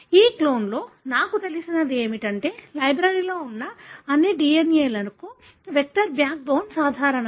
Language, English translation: Telugu, So, what I know in this clone is, the vector backbone is common for all the DNA present in the library